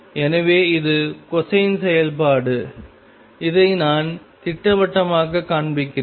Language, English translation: Tamil, So, this is the cosine function let me just show it schematically